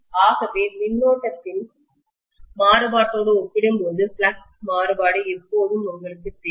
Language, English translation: Tamil, So the variation in the flux is always you know kind of left behind as compared to the variation in the current